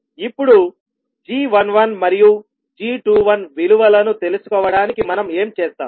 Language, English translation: Telugu, Now, to find out the value of g11 and g21